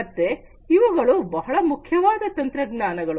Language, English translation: Kannada, So, these are very important technologies